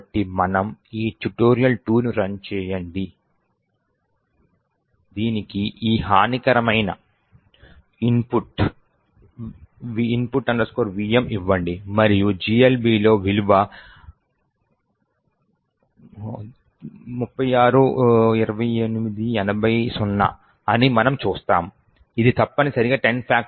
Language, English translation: Telugu, So, we run this tutorial 2, give it this malicious input, which is input vm and we see that the value in GLB is 3628800, this essentially is the value for 10 factorial are which you can actually verify